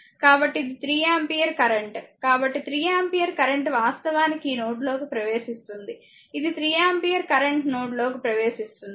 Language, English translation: Telugu, So, this is 3 ampere current so, 3 ampere current actually entering into this node, this is 3 ampere current entering into the node